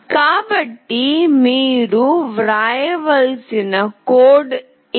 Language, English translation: Telugu, So, this is the code that you have to write